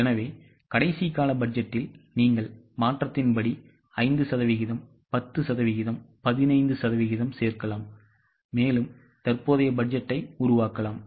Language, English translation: Tamil, So, last period's budget you may add 5%, 10%, 15% as per the change scenario and make the current budget